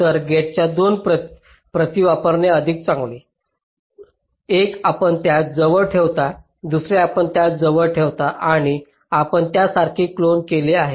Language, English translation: Marathi, so better to use two copies of the gates, one you place closer to that, other you place closer to that ok, and you just clone like that